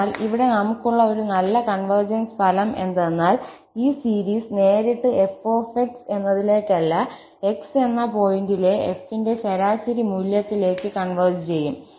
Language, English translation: Malayalam, So, here we have this nice convergence result that this series will converge not directly to f but to the average value of f at that point x